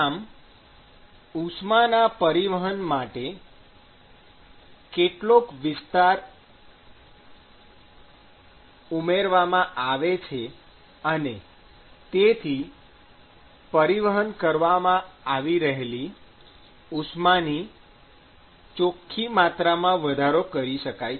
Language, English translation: Gujarati, So, you have now added some extra area for heat transport; and that is how you enhance the net amount of heat that is being transported